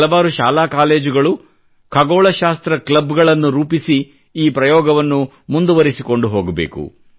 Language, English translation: Kannada, And there are many such schools and colleges that form astronomy clubs, and such steps must be encouraged